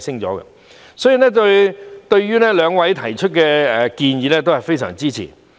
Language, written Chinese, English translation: Cantonese, 因此，對於兩位議員提出的建議，我非常支持。, Hence I strongly support the proposals of these two Members